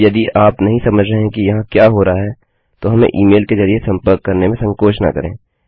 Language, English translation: Hindi, Now if you dont understand what is going on please feel free to contact us via e mail